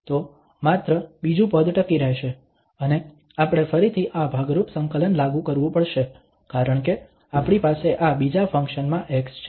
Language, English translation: Gujarati, So, only the second term will survive and we have to again apply this integration by parts because we have x into this another function